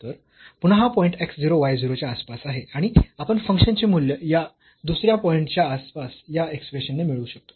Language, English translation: Marathi, So, again this is a point in the neighborhood of this x 0 y 0 and we can get this function value at this some other point in the neighborhood by the by this expression here